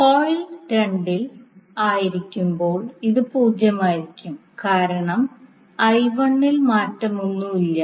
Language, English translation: Malayalam, While in coil 2, it will be zero because there is no change in I 1